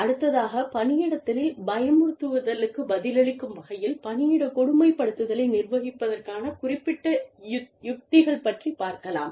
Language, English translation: Tamil, So, specific strategies to manage workplace bullying, in response to the bully